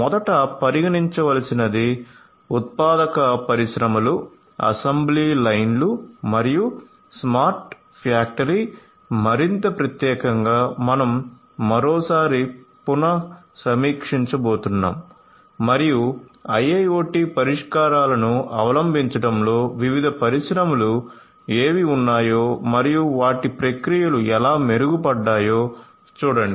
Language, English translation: Telugu, So, manufacturing industries they assembly lines and so on is the first one to be considered, smart factory more specifically is what we are going to revisit once again and look at which different industries have in adopting IIoT solutions and how their processes have improved consequently